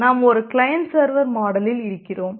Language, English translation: Tamil, So, we have in a we are in a client server model